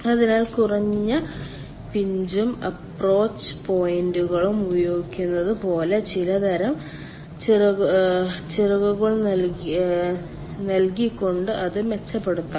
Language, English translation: Malayalam, so that can be improved by providing some sort of fins on like that, then using low pinch and approach points